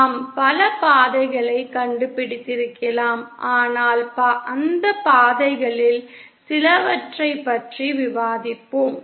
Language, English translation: Tamil, We could have found many paths and we will discuss some more, few of more those paths